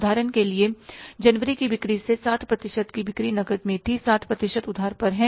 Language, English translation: Hindi, From the sales of January, say for example, 60% sales were on cash, 40% are on credit